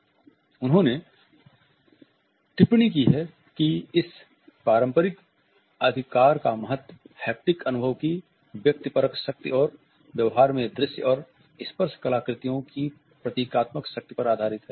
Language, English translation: Hindi, And she is commented that “the significance of this traditional right is based on the subjective power of the haptic experience and the symbolic potency of the visible tactual artifact in behavior”